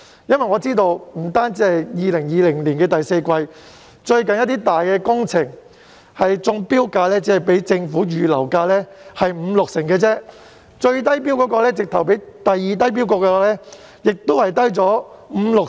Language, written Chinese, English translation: Cantonese, 據我所知，不單2020年的第四季，即使是最近一些大型工程的中標價，均只是政府預留價的五六成而已，最低標價甚至比次低標價低出五至六成。, According to my understanding apart from those contracts awarded in the fourth quarter of 2020 the accepted tender prices for some major works contracts awarded recently are only 50 % or 60 % of the Sums Allowed and some of the lowest bid prices are even 50 % to 60 % lower than the second lowest tender prices